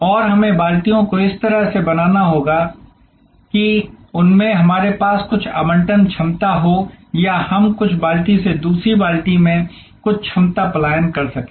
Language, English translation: Hindi, And we have to create the buckets in such a way that they, we have some allocable capacity or we can migrate some capacity from one bucket to the other bucket